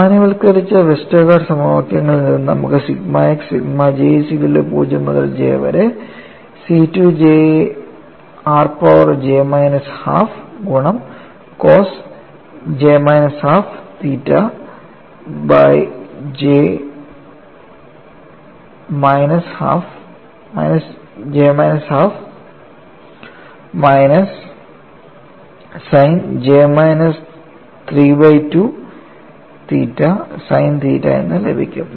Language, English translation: Malayalam, From generalized Westergaard equations, you get sigma x equal to sigma of j equal to 0 to j C 2 j r power j minus half multiplied by cos j minus half theta divided by j minus half minus sin j minus 3 by 2 theta sin theta